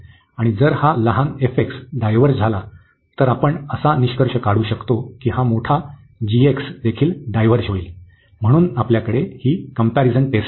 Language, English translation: Marathi, The other way around if this smaller one diverges, we can conclude that this the larger one will also diverge, so we have this comparison test